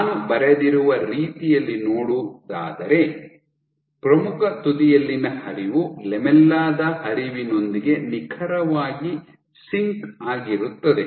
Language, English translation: Kannada, So, the way I have drawn is the flow at the leading edge seems to be exactly in sync with the flow at the lamella